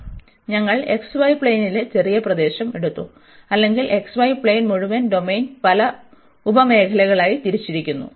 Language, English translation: Malayalam, So, we have taken the small region in the x, y plane or the whole domain in the x, y plane was divided into many sub regions